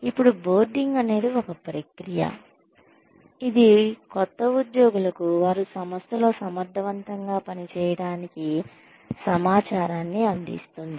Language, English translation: Telugu, Now, on boarding is a process, that provides new employees with the information, they need to function effectively in an organization